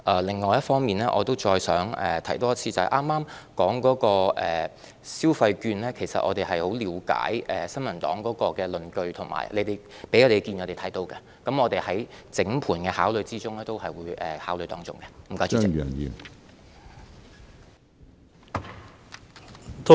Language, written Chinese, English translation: Cantonese, 另一方面，我想重申，議員剛才提到發放消費券，其實我們十分了解新民黨的論據；我們已知悉他們提出的意見，而在當局整盤的考慮之中，我們會對此建議作出考慮。, On the other hand concerning the handing out of consumption vouchers just mentioned by the Honourable Member I would reiterate that we fully understand the justifications of the New Peoples Party . We have already taken note of their opinions and we will consider this proposal in the context of an overall consideration